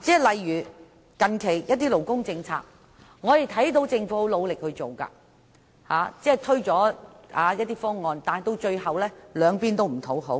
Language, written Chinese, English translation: Cantonese, 例如，近期某些勞工政策，我們看到政府推行得很努力，但最終卻兩邊不討好。, For example we notice that the Government has tried very hard to introduce some labour policies but in the end both the supporters and the opponents of the policies are dissatisfied